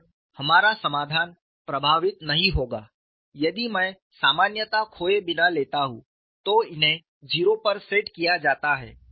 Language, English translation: Hindi, And our solution will not be affected if I take without losing generality, these be set to zero